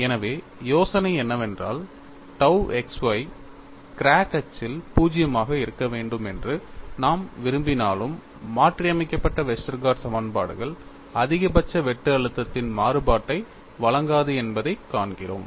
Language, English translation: Tamil, So, the idea is, though we want tau xy to be 0 along the crack axis, we find that modified Westergaard equations do not provide a variation of maximum shear stress